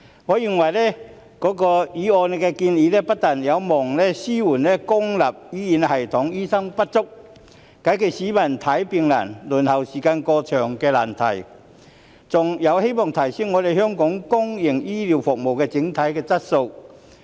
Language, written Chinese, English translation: Cantonese, 我認為，議案的建議不但有望紓緩公營醫療系統醫生不足，解決市民看病難、輪候時間過長的難題，還有望提升香港公營醫療服務的整體質素。, In my view the proposals made in the motion hopefully do not only alleviate the shortage of doctors in the public healthcare system and resolve the difficulties faced by the public in seeking medical treatment and the overly long waiting time but also raise the overall quality of public healthcare services in Hong Kong